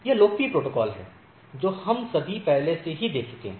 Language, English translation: Hindi, So, these are the popular protocols which we all already we have seen